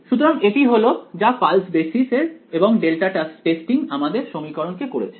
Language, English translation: Bengali, So, this is what pulse basis and delta testing has done to our equation